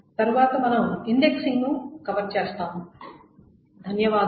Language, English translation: Telugu, And next we will cover the indexing